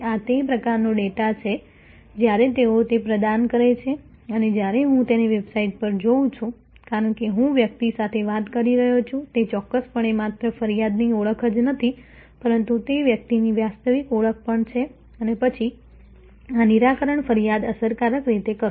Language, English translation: Gujarati, This is the kind of data when they provide that and when I see it on the website as I am talking to the person that definitely is not only the identification of the complain, but it also actually identification of the person and then, this resolving of the complain effectively